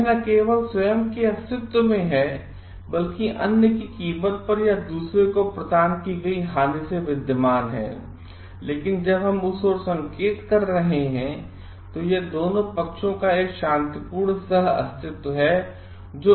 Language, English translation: Hindi, It is not only it is not existing myself existing at the cost of other suffering or at the by harm provided to the other, but it is a mutual a peaceful coexistence of both the parties when we are hinting towards that